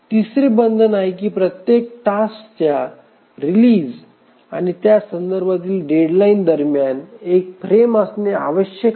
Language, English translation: Marathi, The third is that between the release of every task and its corresponding deadline there must exist one frame